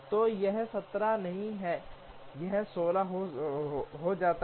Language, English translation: Hindi, So, this is not 17 this becomes 16